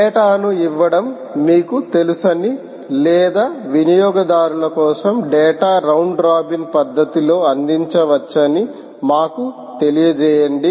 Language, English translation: Telugu, lets say, you know, giving data or for consumers, data can be served in a round robin fashion